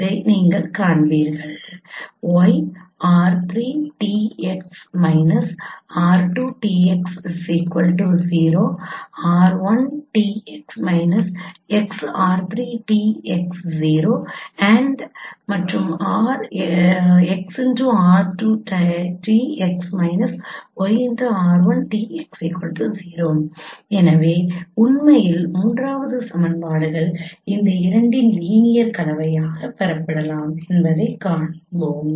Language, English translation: Tamil, So you will find actually the third equations can be derived as a linear combination of these two